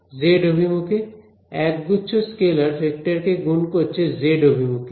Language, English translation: Bengali, Z direction bunch of scalars multiplying a vector in the z direction, so z